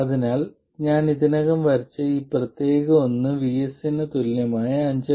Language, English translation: Malayalam, So let's say this particular one which I've already drawn corresponds to VS equals 5